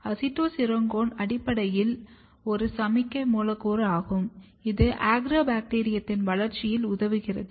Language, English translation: Tamil, Acetosyringone is basically a signaling molecule, which helps Agrobacterium in its growth